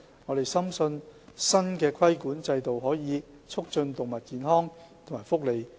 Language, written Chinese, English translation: Cantonese, 我們深信，新的規管制度可以促進動物健康和福利。, We are convinced that the new regulatory regime can promote animal health and welfare